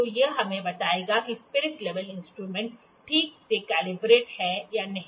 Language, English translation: Hindi, So, this will tell us that is the spirit, this instrument properly calibrated or not